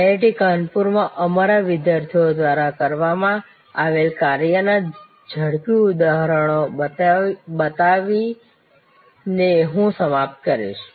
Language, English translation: Gujarati, I will conclude by showing to quick examples of the work done by our students at IIT Kanpur